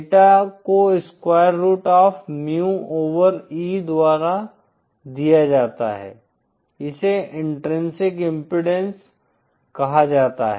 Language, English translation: Hindi, Eta is given by square root of mu over E, is called intrinsic impedance